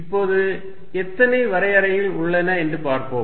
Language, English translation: Tamil, Now, let us see how many definitions are there